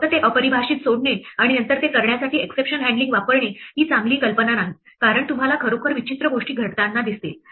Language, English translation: Marathi, It is not a good idea to just leave it undefined and then use exception handling to do it, because you might actually find strange things happening